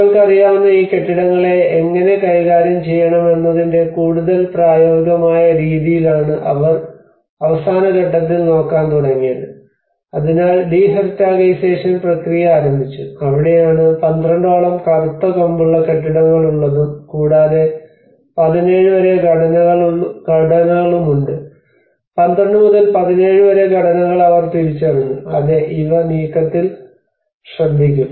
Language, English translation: Malayalam, That is where they started looking at the last stage of in a more practical way of how we can deal these certain buildings you know so the de heritagisation process have started and that is where they come up with about 12 Black horn buildings and you know there is a few about 17 structures 12 to 17 structures they have identified yes these will be taken care of on the move